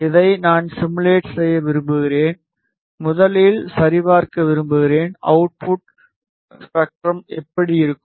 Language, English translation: Tamil, I want to simulate this and want to first check, how does the output spectrum looks like